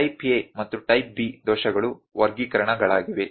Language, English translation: Kannada, So, type A and type B errors are the classifications